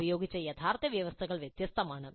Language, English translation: Malayalam, The actual terms used are different